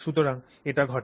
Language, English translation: Bengali, So this happens